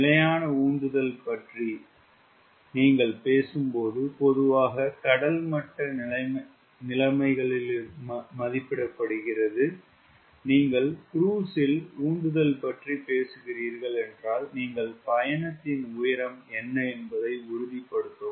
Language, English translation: Tamil, when you are talking about static thrust, which is generally rated at sea level conditions, and if we are talking about thrust at cruise, we must ensure that what is the altitude at cruise